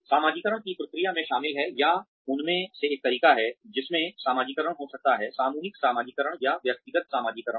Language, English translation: Hindi, Socialization process includes, or consists of, one of the ways in which, socialization can occur is, collective socialization or individual socialization